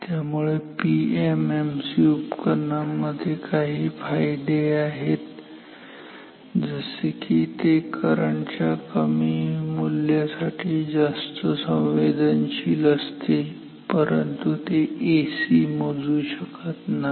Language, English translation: Marathi, Therefore, PMMC instruments have some advantages like this is more sensitive to low value of the current, but it cannot measure AC